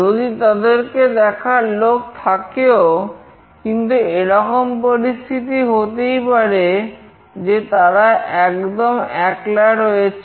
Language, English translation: Bengali, Even if there are people to look after them, but might be in certain situations, we find them all alone